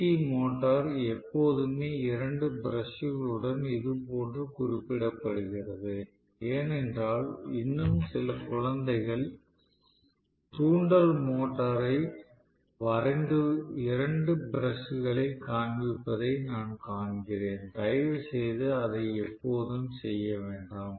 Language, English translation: Tamil, You guys know DC motor, DC motor is always represented like this with two brushes because I see still some kids drawing the induction motor and showing two brushes, please do not ever do that